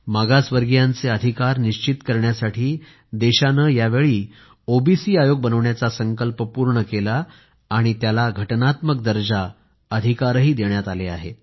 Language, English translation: Marathi, The country fulfilled its resolve this time to make an OBC Commission and also granted it Constitutional powers